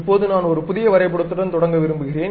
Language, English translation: Tamil, Now, I would like to begin with a new drawing